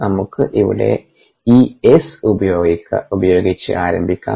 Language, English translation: Malayalam, lets begin with this s here